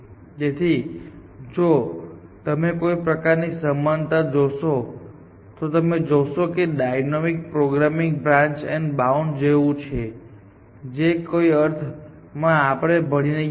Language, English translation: Gujarati, So, if you do some kind of an analogy, if you would see the dynamic programming is like branch and bound that we would, that we were studying essentially in some sense essentially